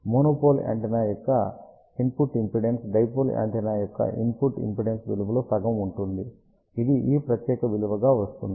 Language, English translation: Telugu, Input impedance of a monopole antenna will be half of the input impedance of dipole antenna, which comes out to be this particular value